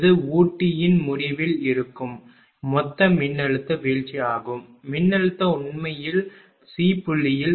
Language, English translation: Tamil, This is the total voltage drop that is there at the end of the feeder the voltage will be actually 240 minus this one that is at point C right